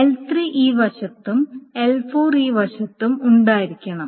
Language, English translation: Malayalam, So that is what L3 must be present on this side and L4 must be present on this side